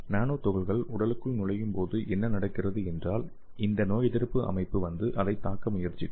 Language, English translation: Tamil, So when the nanoparticle enter into your body what happens is this immune system will try to come and attack it